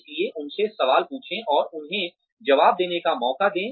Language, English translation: Hindi, So ask them questions, and give them a chance to respond